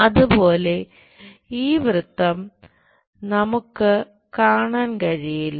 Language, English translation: Malayalam, Similarly this circle we cannot view it